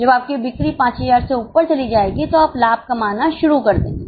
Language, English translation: Hindi, When your sales go above 5,000 you will start making profit